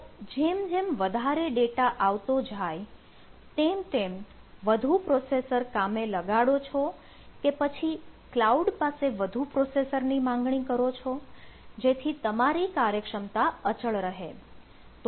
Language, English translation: Gujarati, you go on deploying more processor, or you go on requesting from the cloud more processor and then your efficiency remains constant